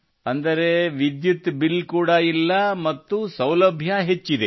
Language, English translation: Kannada, Meaning, the electricity bill has also gone and the convenience has increased